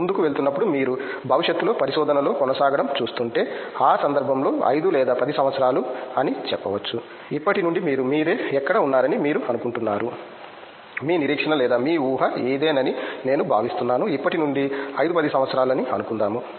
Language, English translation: Telugu, Going forward do you see yourself in future continuing to stay in research and in that context may be say 5 or 10 years from now where do you think you see yourself being, I mean what is your expectation or your anticipation that this is what I think I will be doing say 5 10 years from now